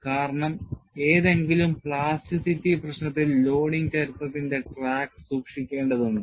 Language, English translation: Malayalam, Because, you have to keep track of the loading history, in any plasticity problem